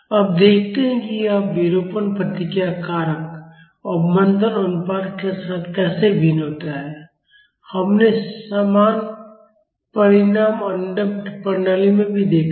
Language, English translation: Hindi, Now, let us see how this deformation response factor varies with the damping ratio, we have seen similar result in undamped systems also